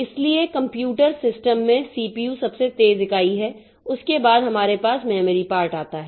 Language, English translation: Hindi, So, in a computer system CPU is the fastest unit that you have, then comes the memory part